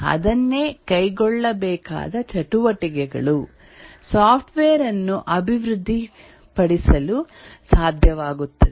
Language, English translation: Kannada, That is, what are the activities that needs to be undertaken to be able to develop the software